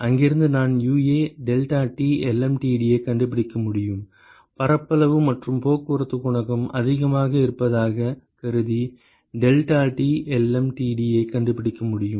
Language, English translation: Tamil, Then from here I can find out UA deltaT lmtd assuming that the area and the transport coefficient is more I can find out deltaT lmtd